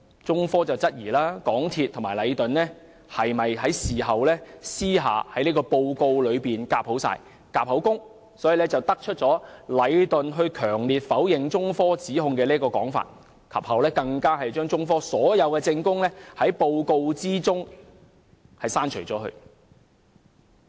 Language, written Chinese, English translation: Cantonese, 中科質疑港鐵公司和禮頓事後是否私下在報告中"夾口供"，以得出禮頓強烈否認中科指控的說法，更把中科所有證供從報告中刪除。, China Technology queried whether there was any collusion between MTRCL and Leighton in private afterwards which resulted in a report stating that Leighton strenuously denied the allegations made by China Technology and the decision to exclude from the report all the testimony given by China Technology